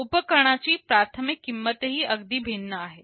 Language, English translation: Marathi, And the initial costs of the equipments are also quite different